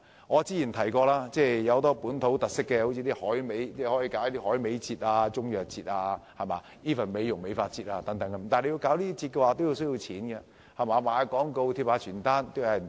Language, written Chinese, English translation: Cantonese, 我曾提過香港有很多本土特色，大可舉辦例如海味節、中藥節甚至美容美髮節等，但舉辦這些節目需要錢才成事，賣廣告和張貼傳單都需要錢。, As I have said before Hong Kong has a lot of local characteristics and we can thus organize some festivals centered on dried seafood Chinese medicine and even beauty care and hairdressing etc . However not a single festival can be organized without money . We need money for advertisements and promotion leaflets